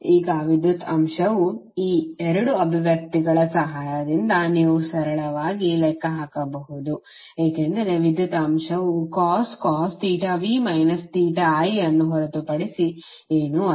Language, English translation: Kannada, Now power factor you can simply calculate with the help of these 2 expressions because power factor is nothing but cos of theta v minus theta i